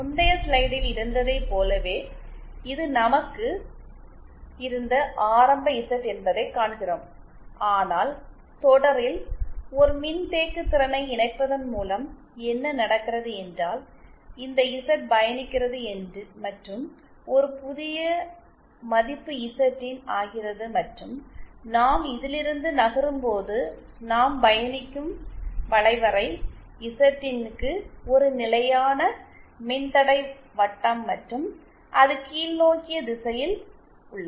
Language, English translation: Tamil, we see that this is the initial Z that we had, just like in the previous slide but then on connecting a capacitance in series what happens is that this Z travels and becomes a new value Zin and the locus that we travel when we move from Z to Zin is along a constant resistance circle and in a downward direction